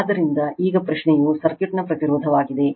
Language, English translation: Kannada, So, now question is impedance of the circuit